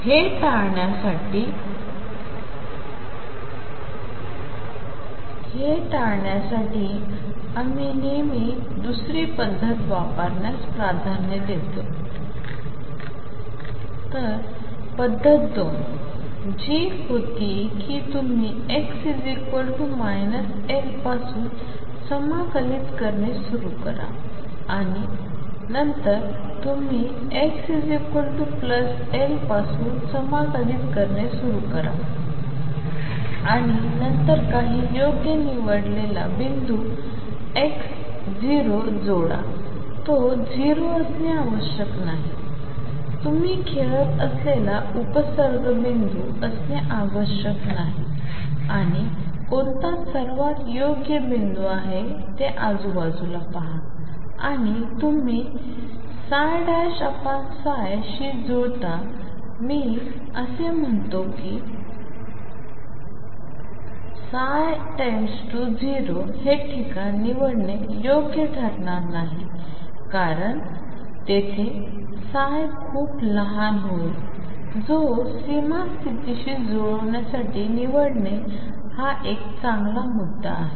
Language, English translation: Marathi, So, method two, which was that you start integrating from x equals minus L onwards you start integrating from x plus L coming back and then add some suitably chosen point x 0, it need not be 0 it need not be a prefix point you play around and see which is the best suited point and you match psi prime over psi why I said it is best suited point is a place where psi goes to 0 would not be a good point to choose a place where psi becomes very small would not be a good point to choose to match the boundary condition